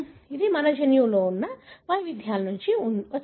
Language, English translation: Telugu, This has come from the variations that our genome has